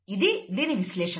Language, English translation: Telugu, This is the analysis